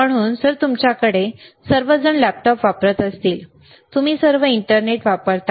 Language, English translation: Marathi, So, if you have all of you use laptop, all of you use internet